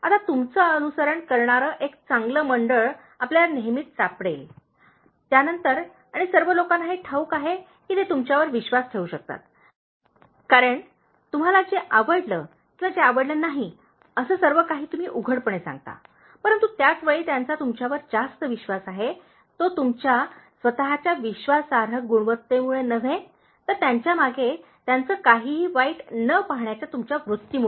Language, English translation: Marathi, Now, you will always find, then a very good circle following you and all the people know that they can trust you, because you will say everything that you like or don’t like openly, but at the same time they are more trusting you not because of your own trustworthy quality, but also your this nature of not seeing anything bad about them behind their back